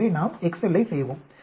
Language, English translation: Tamil, Now, we can also do it by excel